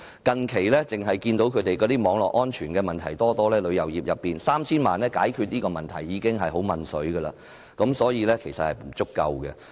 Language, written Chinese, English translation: Cantonese, 近期，我們看到旅遊業中存在很多網絡安全問題，要以 3,000 萬元解決這些問題已十分勉強，所以這是不足夠的。, We have recently noticed that there are a lot of network security problems in the tourism industry and 30 million can barely solve these problems so the funding is inadequate